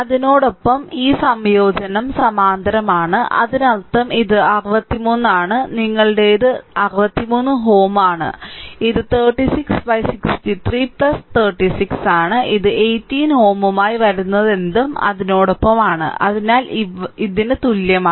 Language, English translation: Malayalam, And with that this combine is in parallel that means, it is equivalent is 63 your this is 63 ohm and this is 36 right, divided by 63 plus 36 whatever it comes with that 18 ohm is in series with that so, that is equal to what right